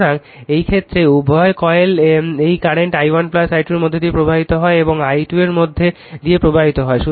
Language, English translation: Bengali, So, in that case both the coils say this current your, i 1 plus i 2 flowing through this and i 2 is flowing through this